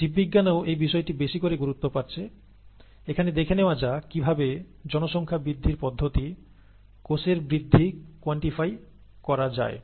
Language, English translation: Bengali, In biology too, this aspect is gaining more and more importance, and here, let us see how to quantify this population growth process, cell growth